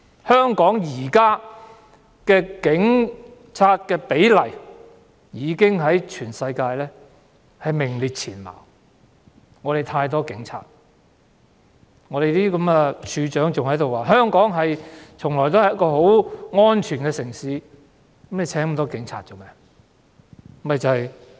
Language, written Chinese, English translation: Cantonese, 香港現時的警民比例在全世界已名列前茅，我們有太多警察，處長還在說香港從來都是很安全的城市，那麼聘請那麼多警察來做甚麼？, At present the police - to - public ratio in Hong Kong is already one of the highest in the world . We have far too many police officers . Since the Commissioner of Police says that Hong Kong has always been a very safe city what is the purpose of employing so many police officers?